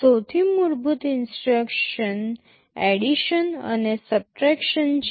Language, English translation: Gujarati, The most basic instructions are addition and subtraction